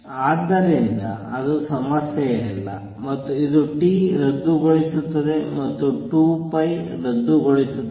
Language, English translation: Kannada, So, that is not an issue, and this t cancels and therefore, and 2 pi cancels